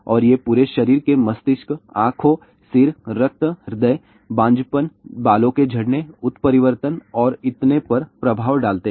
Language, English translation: Hindi, And these effects effects on the whole body brain, eyes, head, blood , heart infertility, hair loss, mutation and so on